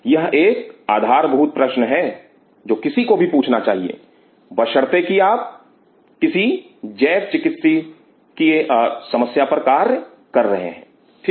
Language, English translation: Hindi, This is one fundamental question one has to ask, provided if you are working on some biomedical problem ok